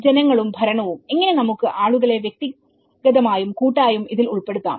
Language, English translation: Malayalam, And the people and governance, where we talk about how we can engage the people to participate individually and as well as collectively